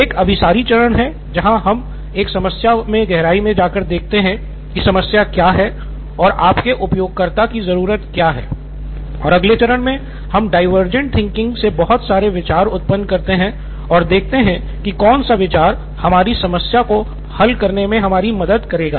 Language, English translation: Hindi, One is the convergent phase where we go deeper into a problem and see what it is that your user needs and in the next phase we do the divergent thinking where we generate a lot of ideas to see what fits the bill